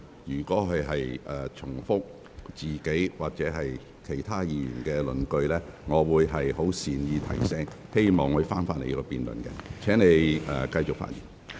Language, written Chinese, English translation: Cantonese, 若議員重複自己或其他議員的論據，我會作出善意提醒，請他返回辯論的議題。, If a Member repeats his own or other Members arguments I will kindly remind him to return to the subject of the debate